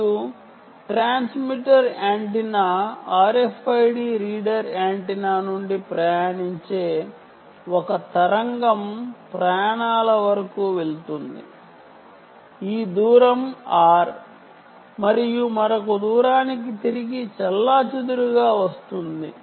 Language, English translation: Telugu, they are separated by some distance r ok and a wave which travels from the transmitter antenna r f i d reader antenna goes all the way up to travels this distance, r and gets back scattered to another distance r right